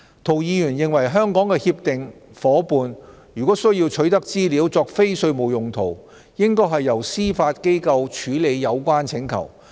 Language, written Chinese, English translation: Cantonese, 涂議員認為香港的協定夥伴如需取得資料作非稅務用途，應該由司法機構處理有關請求。, Mr TO is of the view that if Hong Kongs Comprehensive Agreement partners wish to obtain information for non - tax purposes their requests should be dealt with by the Judiciary